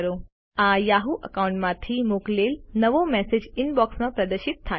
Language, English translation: Gujarati, The new message sent from the yahoo account is displayed in the Inbox